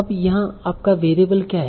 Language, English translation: Hindi, Now what is your variable here